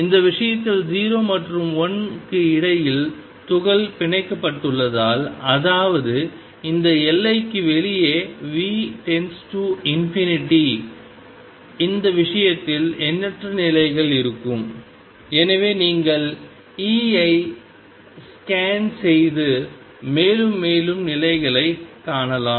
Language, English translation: Tamil, Since the particle is bound in this case between 0 and l; that means, V goes to infinity outside this boundary there going to be infinite number of states in this case and so you can keep scanning over E and find more and more states